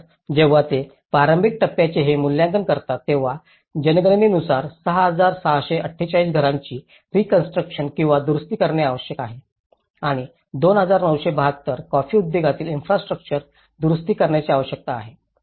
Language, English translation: Marathi, So, when they make this assessment of the early stage the census says 6,648 houses need to be reconstructed or repaired and 2,972 coffee industry infrastructures registered with the CGO need to be repaired